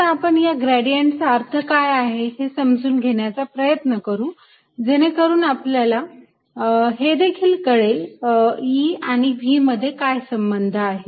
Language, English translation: Marathi, right, let us understand the meaning of this gradient, which will also give us insights into how e and v are related